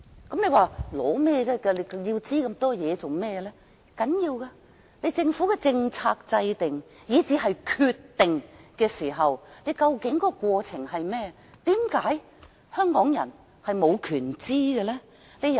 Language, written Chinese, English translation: Cantonese, 大家或會問為何要索取這麼多資料，但這其實很重要，政府如何制訂政策，以至決策過程如何，為何香港人無權知道？, You may ask why the people need so much information . This is very important indeed . Why Hong Kong people should be denied the right to know the way in which our Government formulates policies and its decision - making process?